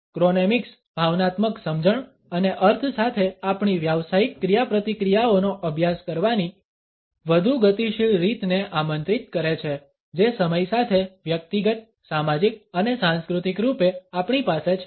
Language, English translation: Gujarati, Chronemics ask for a more dynamic way of studying our professional interactions with emotional understandings and connotations which we have individually, socially and culturally with time